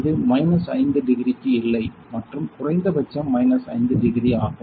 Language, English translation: Tamil, It is no go minus 5 degree and that is minimum minus 5 degree